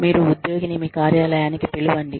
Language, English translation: Telugu, You call the employee, to your office